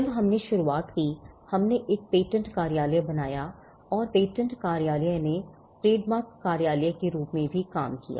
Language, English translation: Hindi, When we started off, we created a patent office and the patent office also acted as the trademark office